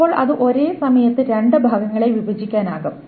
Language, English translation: Malayalam, So it is just broken up into two parts